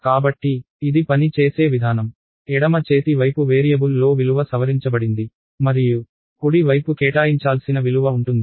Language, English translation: Telugu, So, the way it works is the left hand side is the variable to be modified and right hand side is the value to be assigned